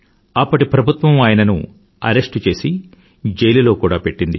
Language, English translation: Telugu, The government of that time arrested and incarcerated him